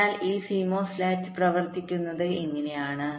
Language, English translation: Malayalam, so this is how this cmos latch works